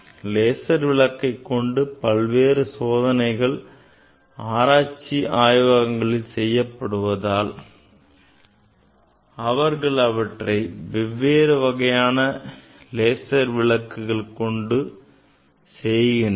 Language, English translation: Tamil, There are lot of application for doing the experiment in research laboratory we use different kind of lasers